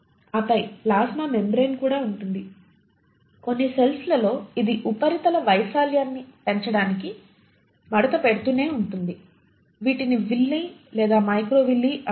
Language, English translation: Telugu, And then the plasma membrane also consists of, in some cells it keeps on folding itself to enhance the surface area, these are called as Villi or microvilli